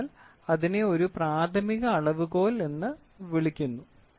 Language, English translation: Malayalam, So, that is called as a primary measurement